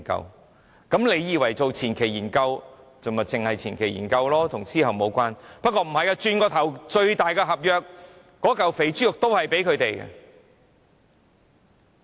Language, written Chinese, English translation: Cantonese, 大家可能以為，做前期研究便只是前期研究，與之後的工程無關，原來不是的，轉過頭來，那份最大的合約、那塊肥豬肉也是會給它們的。, People may think that preliminary studies only concern the preliminary stages and are not related to the works to be conducted subsequently . It is not true . Shortly afterwards the biggest contract―the big piece of fat pork―is reserved for them